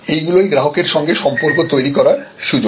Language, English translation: Bengali, And those are opportunities for building relation with the customer